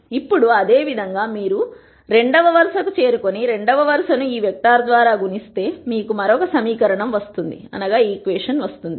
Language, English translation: Telugu, Now, similarly if you get to the second row and multiply the second row by this vector you will get another equation